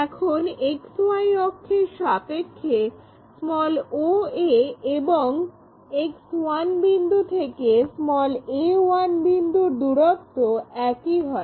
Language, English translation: Bengali, Now, with respect to XY axis oa point from X 1 point all the way to a 1 point becomes one and the same